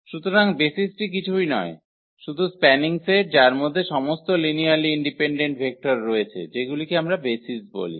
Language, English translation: Bengali, So, the basis is nothing, but spanning set which has all linearly independent vectors that we call basis